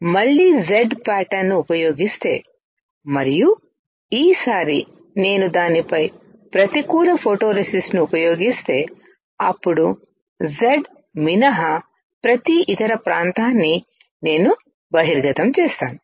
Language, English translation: Telugu, If I use Z pattern again and this time if I use negative photoresist on it, then I would have every other area except Z exposed